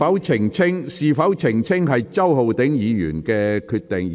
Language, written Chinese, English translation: Cantonese, 澄清與否由周浩鼎議員自行決定。, It is up to Mr Holden CHOW to decide whether to give clarification or not